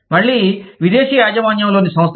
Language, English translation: Telugu, Again, foreign owned enterprises